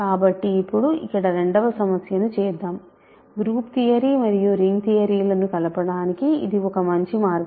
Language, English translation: Telugu, So now, let me do a second problem here which is actually a good way to combine group theory and ring theory, group theory that you learned in the past